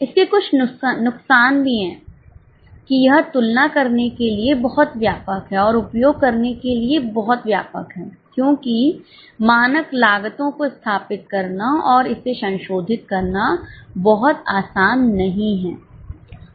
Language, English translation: Hindi, There are a few disadvantages also that it is too cumbersome and too much comprehensive to use because it is not very easy to set up the standard cost and keep on revising it